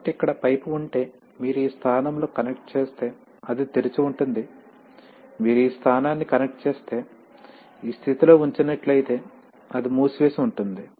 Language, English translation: Telugu, So if you have a pipe here, if you have a pipe here then if you connect in this position then it is open, if you connect it this position, if you put it in this position that is closed right